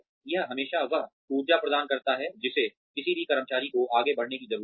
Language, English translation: Hindi, It always provides that energy, that any employee needs to move forward